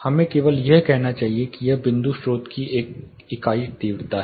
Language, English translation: Hindi, Let us just say it is a unit intensity of point source